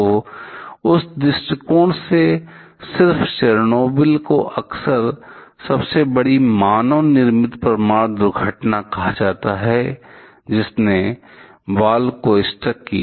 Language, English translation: Hindi, So, from that point of view just Chernobyl is often termed the biggest man made nuclear accident to have to have struck the ball